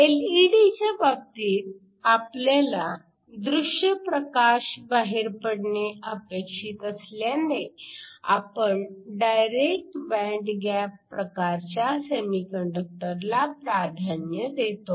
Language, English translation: Marathi, In the case of an LED, since we want a visible light to come out, you preferentially use direct band gap semiconductors, the phenomenon of electro luminescence